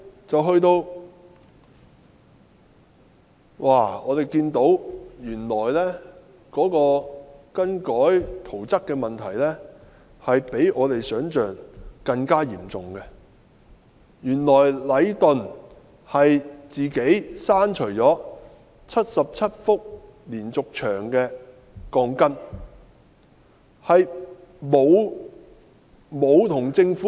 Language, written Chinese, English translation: Cantonese, 接下來，我們看到更改圖則的問題原來比我們想象的更嚴重，原來禮頓建築有限公司擅自刪去了77幅連續牆的鋼筋，並無通知政府。, Then we noted that the problem involving the alteration of drawings was more serious than we thought . We learnt of the unauthorized deletion of the reinforcements of 77 diaphragm walls by Leighton Construction Asia Limited Leighton and that the Government was not notified of the deletion